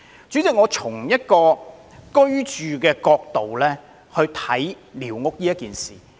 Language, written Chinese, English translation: Cantonese, 主席，我會從居住的角度審視寮屋的問題。, President I will look at the problem of squatter structures from the housing perspective